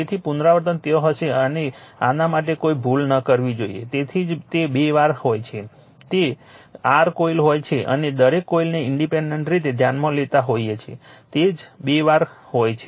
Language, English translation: Gujarati, So, repetition will be there right this should not this one should not make any error for this that is why twice it is there you have plus it your coil considering each coil independently right and that that is why twice it is there